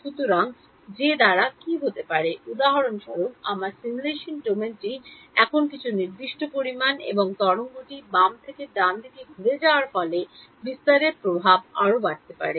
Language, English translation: Bengali, So, what can that threshold be; for example, my simulation domain is some fixed amount over here and as the wave travels from the left to the right the dispersion effects will grow more and more